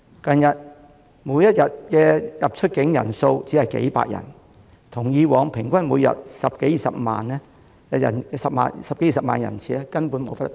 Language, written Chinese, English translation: Cantonese, 近日，每天出入境人數只有數百人，與以往平均每天十多二十萬人次根本無法相比。, In recent days there have only been a few hundred inbound and outbound passengers per day which simply pale in comparison to the daily average of 100 000 to 200 000 passenger trips previously